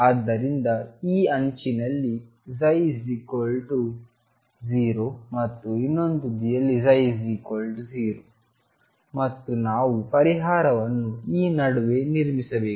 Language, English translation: Kannada, So, psi is 0 at this edge and psi as 0 at the other edge and we have to build the solution in between